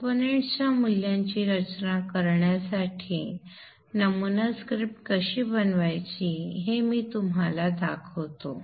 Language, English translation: Marathi, I shall show you now how to make a sample script for designing the certain, designing the values of the components